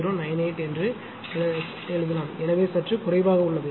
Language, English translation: Tamil, 0098 so slightly less